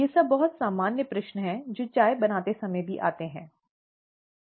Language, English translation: Hindi, All these are very common questions that come about even while making tea, right